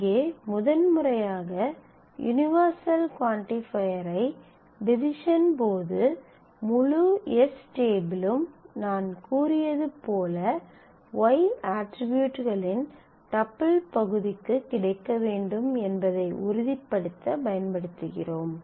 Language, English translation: Tamil, Here you can see that here for the first time we do need to use the universal quantifier to make sure that while I divide that the whole of the table of s must be available against the part of the tuple part of the y attributes as we said that will be collected in the result